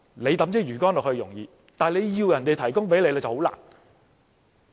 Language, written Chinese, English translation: Cantonese, 他拋出魚竿容易，但他要求別人提供，卻很困難。, It is easy for him to cast his fishing rod but difficult for another person to provide what he wants